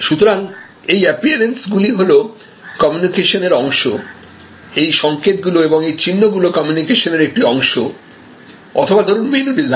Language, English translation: Bengali, So, these appearances are all part of communication, all these assigns and all these symbols are part of the communication or the menu design